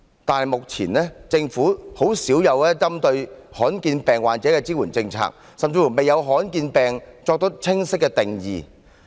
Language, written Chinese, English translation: Cantonese, 但是，目前政府針對罕見病患者的支援政策很少，政府甚至未有為罕見疾病作出清晰的定義。, Notwithstanding the policies that the Government put in place to support rare disease patients are minimal and the Government has not even laid down a clear definition of rare diseases